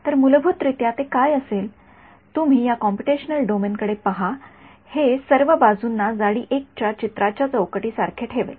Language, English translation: Marathi, So, by default what it will do you look at this computational domain over here it will put like a picture frame of thickness 1 all around ok